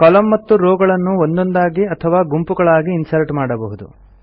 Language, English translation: Kannada, Columns and rows can be inserted individually or in groups